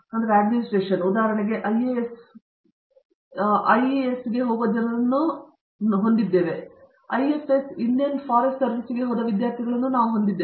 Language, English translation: Kannada, We have people who go into the IAS, IES; we have students who have gone into the IFS, Indian Forest Service